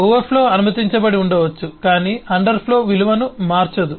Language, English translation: Telugu, It may be that the overflow but underflow does not change the value